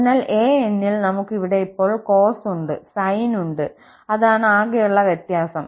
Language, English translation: Malayalam, So, in an, we had here cos and now we have sine that is the only difference